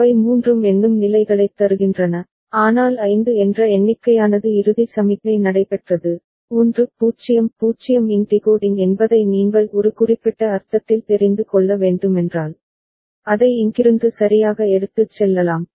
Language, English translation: Tamil, All three of them are giving the counting states, but that a count of 5 as taken place the final signalling, if you required you know in certain sense that decoding of 1 0 0, we can take it from here right